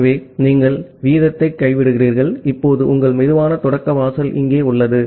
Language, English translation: Tamil, So, you drop the rate, and now your slow start threshold is here